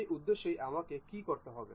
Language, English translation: Bengali, For that purpose what I have to do